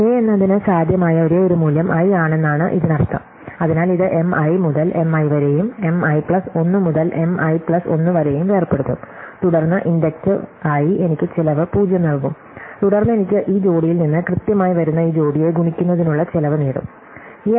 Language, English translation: Malayalam, So, that means the only possible value for k is i, so this will break up this thing as M i to M i and M i plus 1 to M i plus 1 and then inductively those will give me cost 0 and then I will only get the cost of multiplying this pair which will exactly come out of this pair